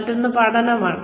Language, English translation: Malayalam, The other is learning